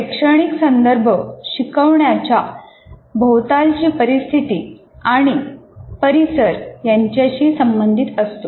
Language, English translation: Marathi, So an instructional context refers to the instructional setting and environment